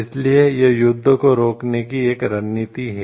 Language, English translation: Hindi, So, it is a strategy to prevent war